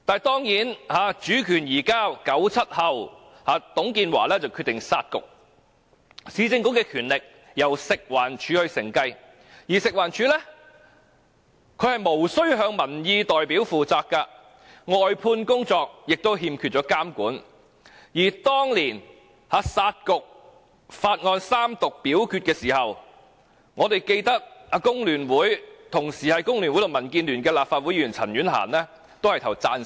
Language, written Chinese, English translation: Cantonese, 當然 ，1997 年主權移交後，董建華決定"殺局"，市政局的權力由食環署承繼，而食環署卻無須向民意代表負責，外判工作亦欠缺監管，而當年"殺局"法案三讀表決時，我們記得同時身兼工聯會及民建聯成員的立法會前議員陳婉嫻投票贊成。, Of course after the handover of sovereignty in 1997 TUNG Chee - hwa decided to scrap both Municipal Councils . FEHD inherited the powers of the Urban Council but is not required to answer to representatives of public opinion; also its outsourced work is not subject to supervision . We remember that when the bill scrapping the Municipal Councils was put to the vote at Third Reading former Legislative Council Member Miss CHAN Yuen - han who were both a member of FTU and the Democratic Alliance for the Betterment and Progress of Hong Kong voted for it